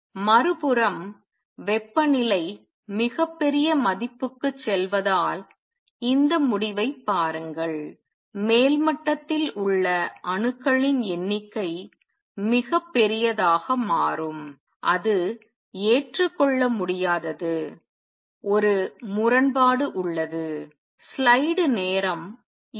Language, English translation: Tamil, On the other hand, look at this result as temperature goes to very large value the number of atoms in the upper state become very very large and that is not acceptable there is a contradiction